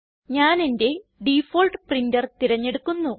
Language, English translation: Malayalam, I will select my default printer